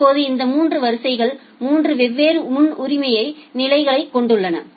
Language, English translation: Tamil, Now these 3 queues has 3 different priority levels